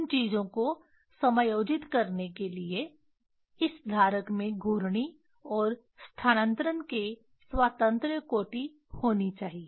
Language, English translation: Hindi, to adjust this those things we this holder should have rotational and translational degrees of freedom